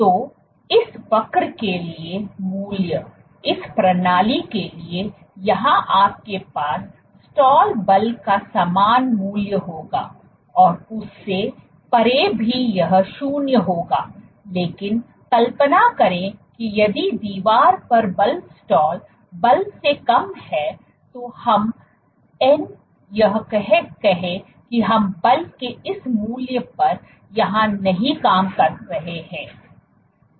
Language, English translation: Hindi, So, the value for this curve, for this system here you will have the same value of the stall force and beyond also it will be 0, but imagine that if the force on the wall is less than the stall force let us say we have operating somewhere here at this value of force